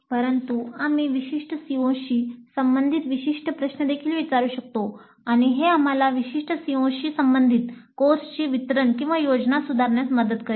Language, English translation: Marathi, But we can also ask specific questions related to specific COs and that would help us in planning, improving the delivery of the course with respect to specific CEOs